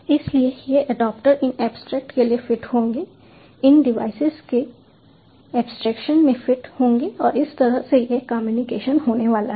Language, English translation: Hindi, so you know, so these adaptors would fit to these abstractions, fit to the abstractions of these devices, and that is how this communication is going to take place